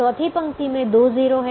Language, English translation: Hindi, the fourth row has two zeros